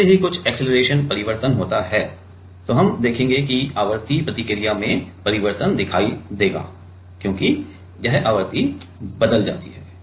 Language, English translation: Hindi, As soon as some acceleration change occurs, then we will change will see that change in the frequency response, because this frequency changes